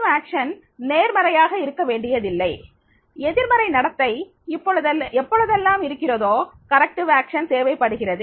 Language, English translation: Tamil, Corrective action is not necessarily positive, corrective action is required whenever there is a negative behavior is there